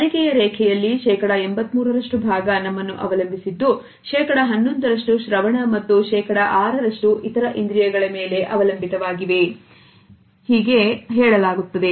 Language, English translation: Kannada, It is said that in the learning curve 83% is dependent on our side, 11% on hearing and 6% on other senses